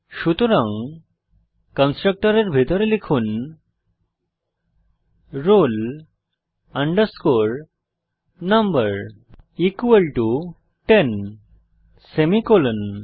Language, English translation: Bengali, So inside the constructor type roll number equal to ten semicolon